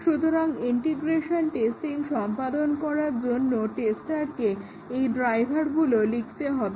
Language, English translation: Bengali, So, for performing integration testing, the tester has to write these drivers